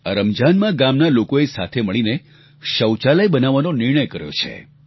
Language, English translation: Gujarati, During this Ramzan the villagers decided to get together and construct toilets